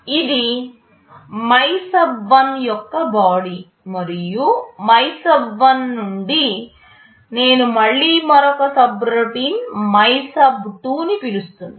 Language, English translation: Telugu, This is the body of MYSUB1 and from MYSUB1, I am again calling another subroutine MYSUB2